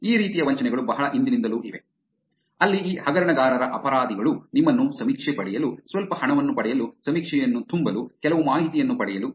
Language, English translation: Kannada, These kind of scams have been around for a long, long time, where the criminals of these scammers get you to get survey, fill the survey to get some money, to get some information